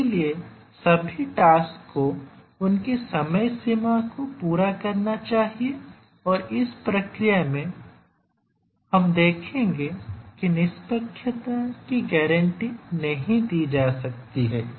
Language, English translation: Hindi, So, all the tasks must meet their deadlines and in the process we will see that fairness cannot be a guaranteed